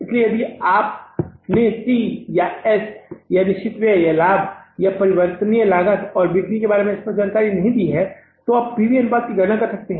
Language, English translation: Hindi, So, if you are not given the clear cut information about the C or S or fixed expenses or profit or variable cost and sales then you can calculate the PV ratio